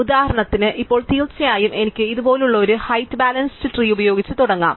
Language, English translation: Malayalam, For example, now of course, I could start with a height balance tree like this